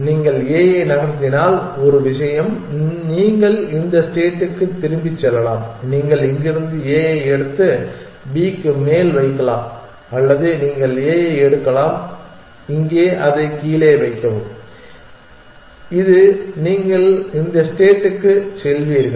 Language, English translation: Tamil, Again, we do the move gun function, so you can move either d or you can move a if you move a one thing is you can go back to this state you can take a from here and put it on top of b or you can take a from here put it down here which is you will go to this state